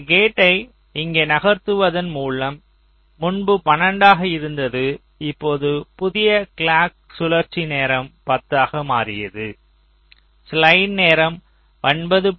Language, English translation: Tamil, so what we have worked out, so earlier it was twelve, now, by moving this gate out here, now the new clock circle time becomes ten